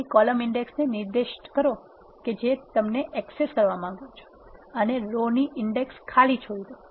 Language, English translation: Gujarati, So, specify the column index which you want access and leave the rows index unspecified